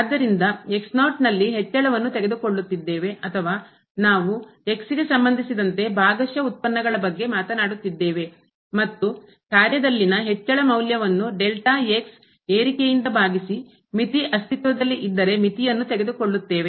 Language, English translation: Kannada, So, the increment in because we are taking or we are talking about the partial derivatives with respect to x and the function value divided by the delta increment and taking this limit if this limit exists